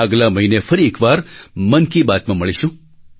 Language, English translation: Gujarati, We shall meet once again in another episode of 'Mann Ki Baat' next month